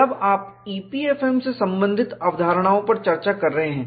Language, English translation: Hindi, When you are discussing concepts related to EPFM